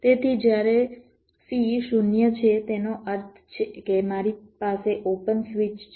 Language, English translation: Gujarati, so when c is zero, it means that i have a open switch